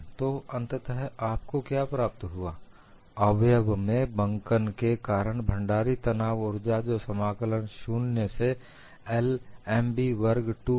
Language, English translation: Hindi, So, what you finally get is, strain energy stored in the member due to bending is integral 0 to l M b squared 2 E I z into d x